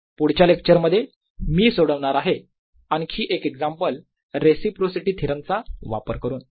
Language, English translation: Marathi, in the next lecture i'll solve one more example using reciprocity theorem